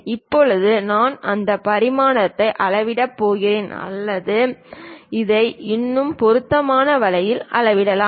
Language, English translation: Tamil, Now, when I am going to measure these dimension or perhaps this one in a more appropriate way